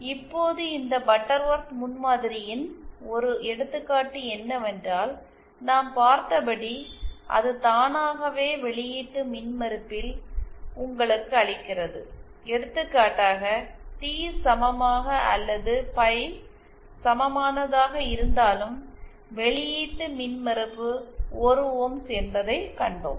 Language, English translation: Tamil, Now one example of this Butterworth prototype is that it automatically gives you at the output impedance as we saw, for example whether for the T equivalent or pie equivalent, we saw that the output impedance is 1 ohms